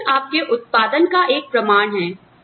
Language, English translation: Hindi, Performance, is a measure of your output